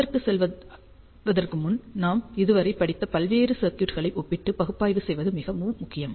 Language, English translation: Tamil, And before going to that it is very important that we analyze and compare various circuits that we have studied so far